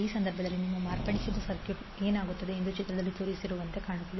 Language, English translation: Kannada, So in that case what will happen your modified circuit will look like as shown in the figure